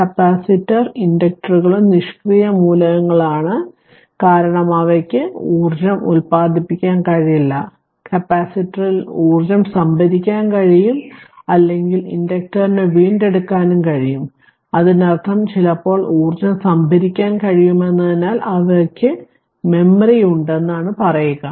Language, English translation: Malayalam, So, capacitor inductors also passive elements because, they of their own they cannot generate energy you can store their energy in capacitor, or inductor you can retrieve also; that means, other way sometimes we tell that they have memory like because they can store energy right